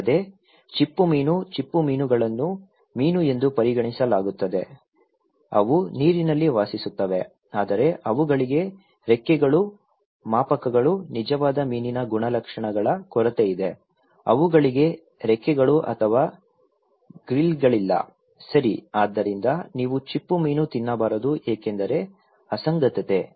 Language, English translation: Kannada, Also, shellfish; shellfish is considered to be fish, they live in the water yet they lack fins, scales, characteristics of true fish, they do not have fins or grills, okay, so you should not eat shellfish because is an anomaly